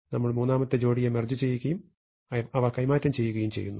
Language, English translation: Malayalam, We merge the third pair and they get exchanged, and we merge the fourth pair again they get exchanged